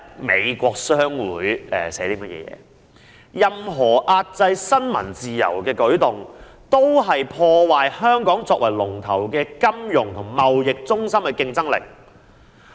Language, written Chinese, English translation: Cantonese, 美國商會發表聲明，指任何壓制新聞自由的舉動，均破壞香港作為領先金融和貿易中心的競爭力。, The American Chamber of Commerce in Hong Kong has issued a statement claiming that any move to suppress freedom of the press will diminish Hong Kongs competitiveness as a leading financial and trade centre